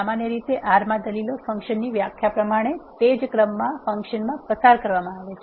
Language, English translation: Gujarati, Generally in R the arguments are passed to the function in the same order as in the function definition